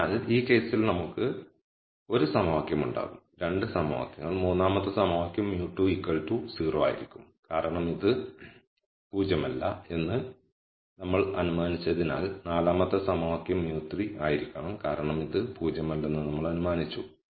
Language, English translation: Malayalam, So, in this case we will have 1 equation, 2 equations, the third equation will be mu 2 has to be 0 because we have assumed this is not 0 the fourth equa tion has to be mu 3 is 0 because we have assumed this is not 0